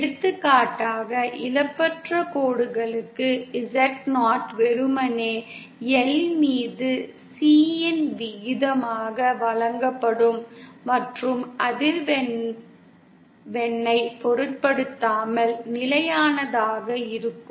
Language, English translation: Tamil, For example, for lossless lines, Z0 will be simply given as the ratio of L upon C and would be constant irrespective of the frequency